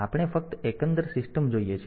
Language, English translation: Gujarati, So, we just see the overall system